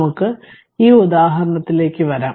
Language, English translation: Malayalam, Let us come to this example